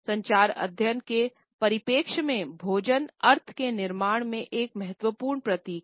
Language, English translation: Hindi, From the perspective of communication studies, food continues to be an important symbol in the creation of meaning